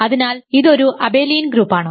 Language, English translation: Malayalam, So, this is an abelian group automatically